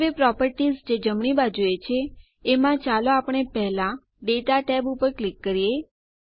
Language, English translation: Gujarati, Now in the properties on the right, let us click on the Data tab first